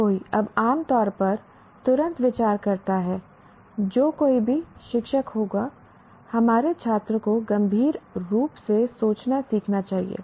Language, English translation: Hindi, Everybody considers, you know, generally on the drop of the hat, any teacher will say our students should learn to think critically